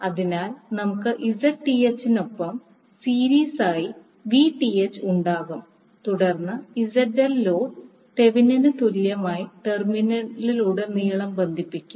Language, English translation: Malayalam, So, we will have Vth in series with Zth and then load ZL will be connected across the Thevenin equivalent terminal